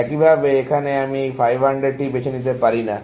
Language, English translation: Bengali, Likewise, here, I cannot choose this 500